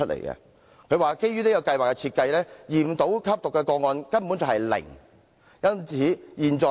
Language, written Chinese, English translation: Cantonese, 他認為基於這項計劃的設計，驗到吸毒個案的可能性根本是"零"。, He thought that given the design of the scheme the possibility of identifying drug abuse cases through testing is practically zero